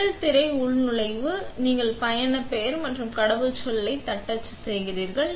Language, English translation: Tamil, The first screen is the login, where you type in username and password